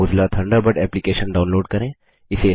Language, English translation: Hindi, The Mozilla Thunderbird application opens